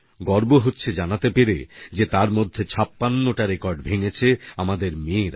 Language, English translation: Bengali, And I am proud that of these 80 records, 56 were broken by our daughters